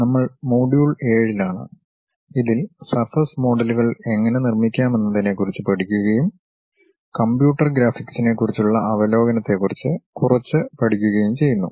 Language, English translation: Malayalam, We are in module number 7, learning about how to construct surface models and further we are learning little bit about Overview on Computer Graphics